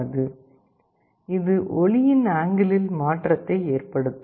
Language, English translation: Tamil, This will result in a change in angle of light